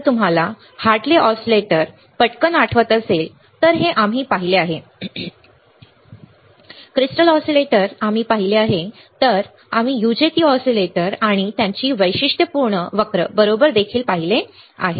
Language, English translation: Marathi, If you recall quickly Hartley oscillator this we have seen right, crystal oscillators we have seen, then we have seen UJT oscillators, and its characteristic curve right